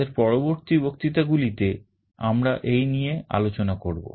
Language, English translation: Bengali, These we shall be discussing in our subsequent lectures